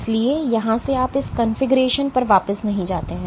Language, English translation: Hindi, So, from here you do not go back to this configuration